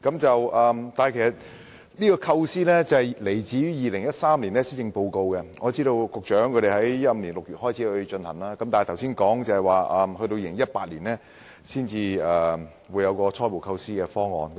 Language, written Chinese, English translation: Cantonese, 這構思來自2013年的施政報告，據我所知，局長在2015年6月開始進行研究，但按局長剛才所說，要在2018年才會有初步構思方案。, The idea was first announced in the 2013 Policy Address and to my knowledge the Secretary launched a study in June 2015 but according to his reply preliminary conceptual schemes will only be available in 2018